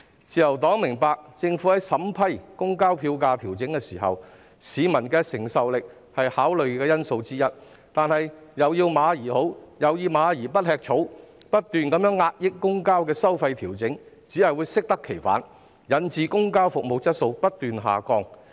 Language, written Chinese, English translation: Cantonese, 自由黨明白，政府在審批調整公共交通票價的申請時，市民的承受力是考慮因素之一，但"又要馬兒好，又要馬兒不吃草"，不斷壓抑公共交通的收費調整只會適得其反，導致公共交通服務質素不斷下降。, The Liberal Party understands that in vetting and approving applications for public transport fare adjustments peoples affordability is one of the considerations . However we cannot expect a horse to be good when we do not let it graze . The constant suppression of public transport fare adjustments will only backfire resulting in continuous deterioration of the quality of public transport services